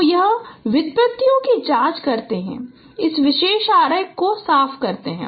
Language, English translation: Hindi, So let us check the derivations clean this particular diagram